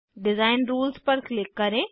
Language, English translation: Hindi, Click on Design Rules